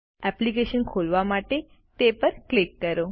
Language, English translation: Gujarati, Click on it to open the application